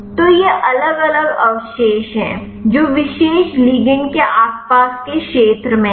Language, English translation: Hindi, So, these are the different residues, which is in the vicinity of the particular ligand